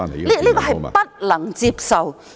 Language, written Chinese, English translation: Cantonese, 這是不能接受的。, which was unacceptable